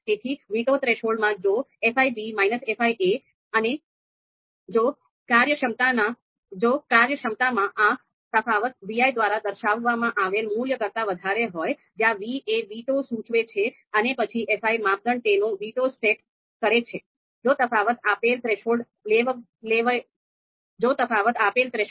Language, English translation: Gujarati, So in the in the veto threshold you know if fi b and minus fi a, if this difference in performance is higher than this value, then you know and this value is denoted by vi, v indicating for veto, then this fi the criterion this sets its veto